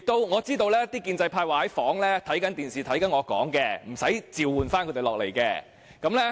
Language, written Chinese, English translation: Cantonese, 我知道建制派在房內在電視上觀看我發言，無須召喚他們下來。, I know that the pro - establishment Members are watching my speech on the television in their rooms . I need not call them back here